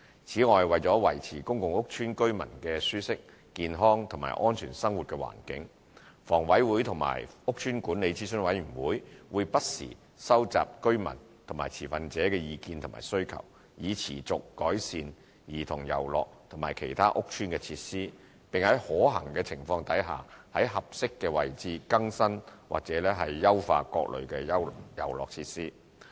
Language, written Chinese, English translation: Cantonese, 此外，為了維持公共屋邨居民的舒適、健康和安全生活環境，房委會和屋邨管理諮詢委員會會不時收集居民及持份者的意見和需求，以持續改善兒童遊樂及其他屋邨設施，並在可行情況下在合適位置更新或優化各類遊樂設施。, Furthermore in order to maintain a comfortable healthy and safe living environment for the residents of PRH estates HA and the Estate Management Advisory Committees EMACs will from time to time gauge the views and needs of the residents and stakeholders in order to continuously improve the childrens playgrounds and other estate facilities . Where possible HA will also replace or upgrade various kinds of playground facilities at appropriate locations